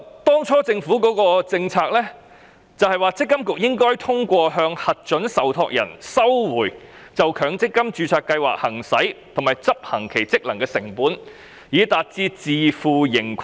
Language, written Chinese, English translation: Cantonese, 當初政府的政策，是積金局應通過向核准受託人收回就強積金註冊計劃行使及執行其職能的成本，達到自負盈虧。, It is the Governments original policy that MPFA should be self - financing by recovering from approved trustees its costs of exercising and performing its functions with respect to MPF registered schemes